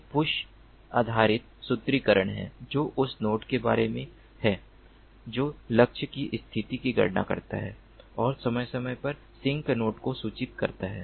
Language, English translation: Hindi, one is the push based formulation, which is about that nodes computing the position of the target and periodically notifying the sink node